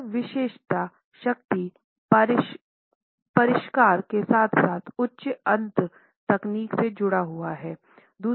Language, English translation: Hindi, It is associated with exclusivity, power, sophistication as well as high end technology